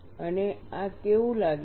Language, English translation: Gujarati, And how does this look like